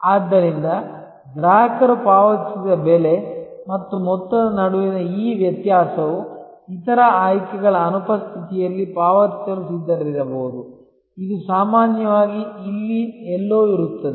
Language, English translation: Kannada, So, that this difference between the price paid and amount the customer would have been willing to pay in absence of other options this usually is somewhere here